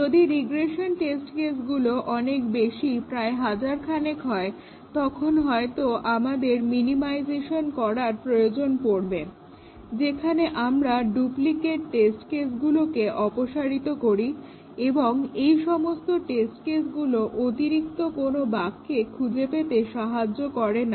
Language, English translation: Bengali, If the regression test cases are too many thousands then we might need to do minimization, where we remove test cases which you do not really they are kind of duplicates and they do not really detect additional bugs